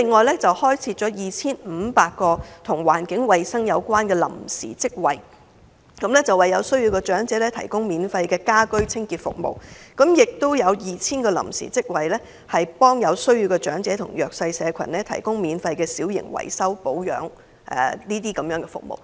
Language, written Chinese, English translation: Cantonese, 第二，開設 2,500 個與環境衞生有關的臨時職位，為有需要的長者提供免費家居清潔服務，並且開設 2,000 個臨時職位，為有需要的長者和弱勢社群提供免費小型維修保養等服務。, Secondly 2 500 temporary jobs were created to improve environmental hygiene providing the elderly in need with free home cleaning services; and 2 000 temporary jobs were created to provide the elderly and the underprivileged in need with free services such as minor maintenance